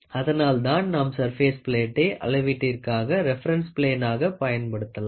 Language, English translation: Tamil, So, we always use these surface plates as a reference plane for measurements